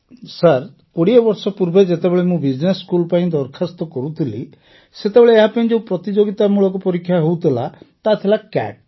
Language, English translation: Odia, Sir, when I was applying for business school twenty years ago, it used to have a competitive exam called CAT